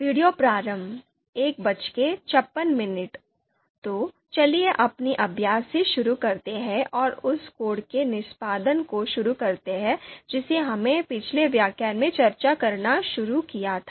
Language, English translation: Hindi, (Video Starts: 01:56) So let’s get started with our you know exercise and let’s start execution of the code that we you know started discussing in the previous lecture